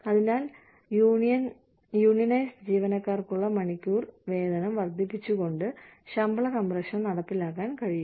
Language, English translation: Malayalam, So, pay compression can also be effected by, increasing the hourly pay, for unionized employees